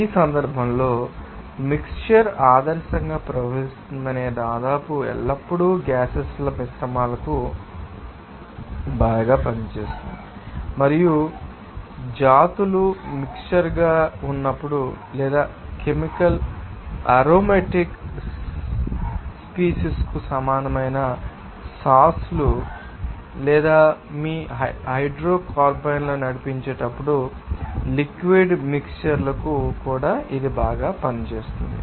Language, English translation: Telugu, In this case the assumption that a mixture behaves ideally nearly always works well for mixtures of gases and it also works well for liquid mixtures when the species are being mixed or chemical is similar sauces to aromatic species or to lead your hydrocarbons